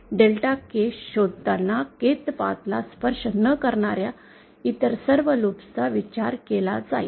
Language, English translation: Marathi, All other loops which do not touch the Kth path will be considered while finding out Delta K